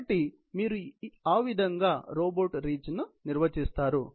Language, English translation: Telugu, So, that is how you will define the robot reach